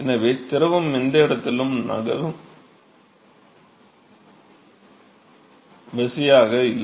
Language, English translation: Tamil, So, the fluid is not being force to move at any location